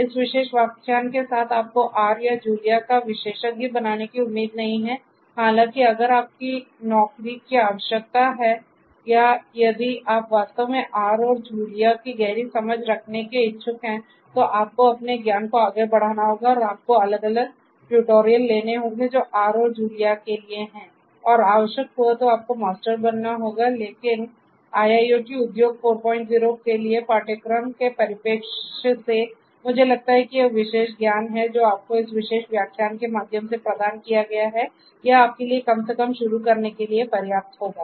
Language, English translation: Hindi, With this particular lecture you are not expected to become an expert of R or Julia; however, if your job requires you or if you are indeed interested to have a deeper understanding of R and Julia you have to build your knowledge further and you have to take different tutorials that are there for R and Julia and you have to become master of these languages if you are required to, but from a course perspective for IIoT an Industry 4